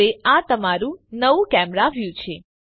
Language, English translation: Gujarati, Now, this is your new camera view